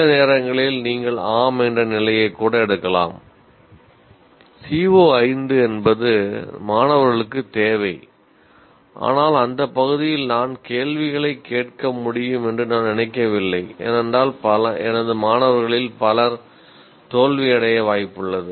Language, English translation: Tamil, Sometimes you may take even a position, yes, C O 5 is what is required by the students but I don't think I can ask questions in that area because too many of my students are likely to fail